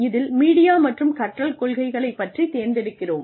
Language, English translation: Tamil, In which, we select the media and learning principles